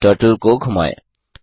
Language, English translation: Hindi, Lets now move the Turtle